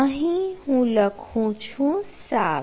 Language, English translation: Gujarati, so i am giving it seven